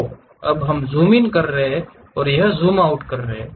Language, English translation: Hindi, So, now we are zooming in, it is zooming out